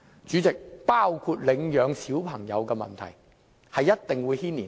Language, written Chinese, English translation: Cantonese, 主席，即使是領養兒童的問題也一定會受牽連。, Chairman the adoption of children will definitely be affected